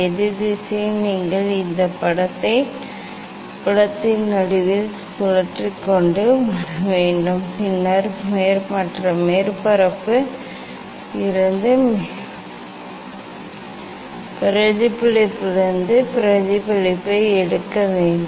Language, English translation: Tamil, in opposite direction you have to rotate and bring this image at the middle of the field ok, then you take the reflection from the other surface reflection from the other surface